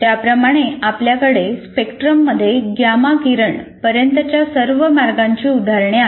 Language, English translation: Marathi, And like that you have examples of all the way up to gamma rays